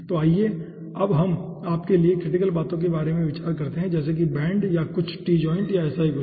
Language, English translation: Hindi, so let us now go, for you know critical things like bend or something, t joint or something like that